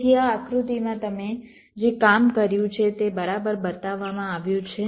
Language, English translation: Gujarati, so this is shown in this diagram, exactly what you have worked out